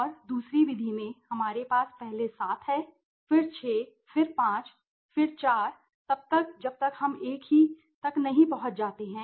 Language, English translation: Hindi, And in the other method, we have seven first, then 6, then 5, then 4 till we reached one okay so the same thing right